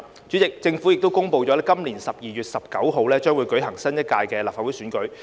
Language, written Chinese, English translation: Cantonese, 主席，政府已公布今年12月19日將會舉行新一屆的立法會選舉。, President the Government has announced that a new Legislative Council election will be held on 19 December this year